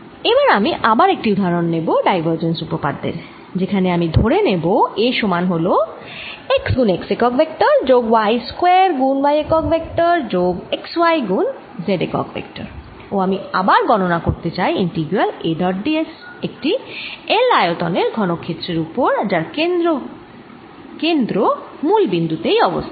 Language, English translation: Bengali, next, again, i take an example for divergence theorem where i am going to take a to be equal to x, x plus y square, y plus x, y, z, and again i want to calculate it's integral: a dot d s over a cubed of side l centred at the origin